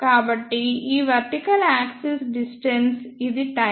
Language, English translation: Telugu, So, this vertical axis is distance, this is time